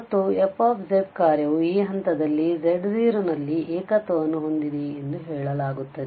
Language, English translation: Kannada, And the function fz is said to have a singularity at this point z naught